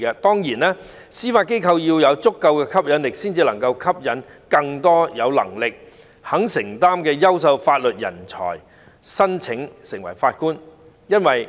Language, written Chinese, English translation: Cantonese, 當然，司法機構必須具有足夠的吸引力，才能夠吸引更多有能力、肯承擔的優秀法律人才申請成為法官。, Of course the Judiciary must offer attractive packages to attract outstanding legal talents with a strong sense of commitment to apply to join the Bench